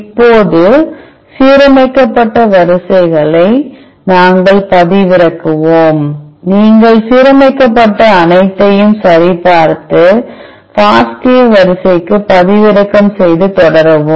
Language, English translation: Tamil, Now, we will download the aligned sequences, you can download all the aligned sequences by checking all and download to FASTA sequence and continue